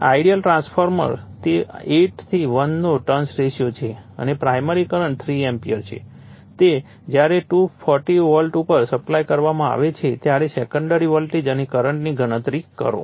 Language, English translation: Gujarati, An ideal transformer it is turns ratio of 8 is to 1 and the primary current is 3 ampere it is given when it is supplied at 240 volt calculate the secondary voltage and the current right